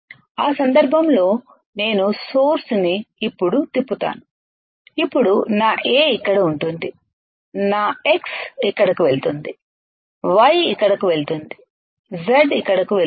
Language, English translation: Telugu, Then in that case I will rotate the source in such a way that now my A will be here, my X will go here,Y will go here Z will go here right